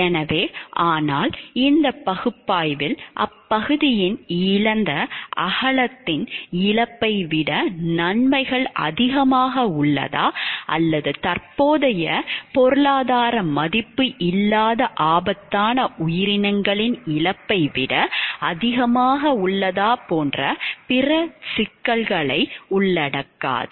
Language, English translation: Tamil, So, but this analysis won't include other issues such as whether the benefits outweigh the loss of the cynic wideness of the area or the loss of an endangered species with no current economic value